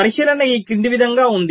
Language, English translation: Telugu, the observation is as follows